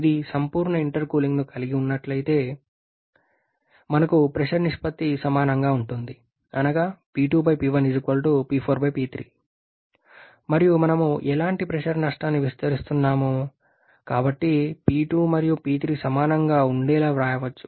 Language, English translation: Telugu, If it is having a perfect intercooling then we have the pressure ratio to be equal that is P2 by P1 should be equal to P4 by P3 and as we are neglecting any kind of pressure loss, so we can write that P2 and P3 to be equal